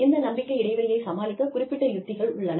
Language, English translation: Tamil, And, there are strategies, to deal with the trust gap